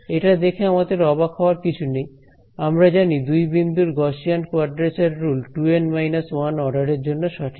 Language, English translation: Bengali, This should not surprise us because, we know that 2 point Gauss quadrature rule is accurate to order 2 N minus 1 right 2 N minus 1